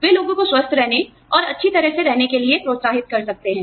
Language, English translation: Hindi, They can encourage people, to stay healthy, and stay well